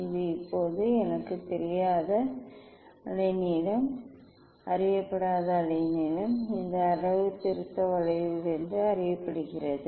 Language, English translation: Tamil, this is the wavelength unknown wavelength as I it was unknown now; it is known from this calibration curve